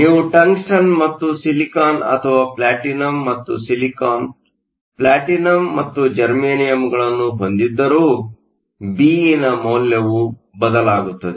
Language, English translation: Kannada, Whether you have tungsten and silicon or platinum and silicon, platinum and germanium the value of Be will change